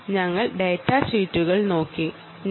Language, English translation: Malayalam, we looked at datasheets, ah